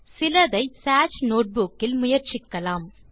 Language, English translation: Tamil, So let us try some of them out on the Sage notebook